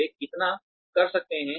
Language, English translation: Hindi, How much they can do